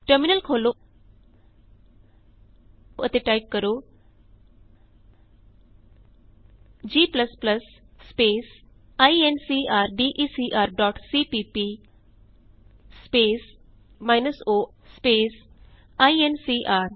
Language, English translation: Punjabi, Open the terminal and type g++ space incrdecr dot cpp space minus o space incr